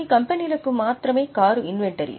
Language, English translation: Telugu, Only for certain companies car is an inventory